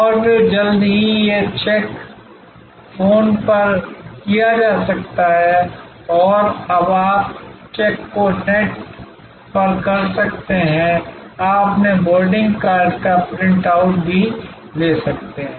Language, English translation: Hindi, And then soon, these check in could be done on phone and now, you can do the check in on the net; you can even print out your boarding card